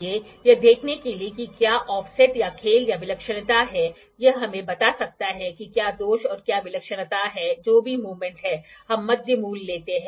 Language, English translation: Hindi, So, as to see whether there is in offset or play or eccentricity this can tell us whether defect to the what the eccentricity is, whatever the movement is we take the mid value